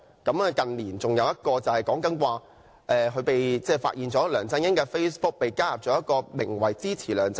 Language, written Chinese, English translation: Cantonese, 另一個例子是，近年梁振英的 Facebook 帳戶被發現加入了一個名為"支持梁振英！, Another example is the revelation that a closed group called Support LEUNG Chun - ying! . was recently added to LEUNG Chun - yings Facebook and he was the administrator of this group